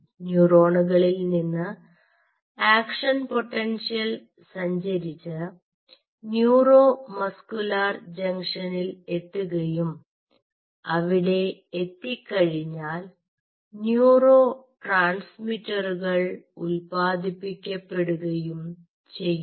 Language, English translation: Malayalam, so the idea is you stimulate the neurons, so neuron, the action potentials, will travel and will reach the neuromuscular junctions and upon reaching there, they will secrete neurotransmitters